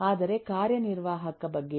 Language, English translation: Kannada, but what about executive